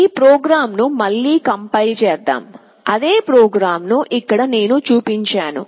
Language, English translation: Telugu, Let us again compile this program, the program that I have shown that same program is here